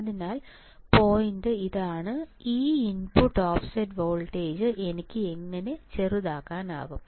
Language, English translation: Malayalam, So, the point is; how can I minimize this output offset voltage how can I minimize this output also right